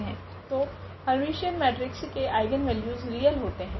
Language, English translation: Hindi, So, the eigenvalues of Hermitian matrix are real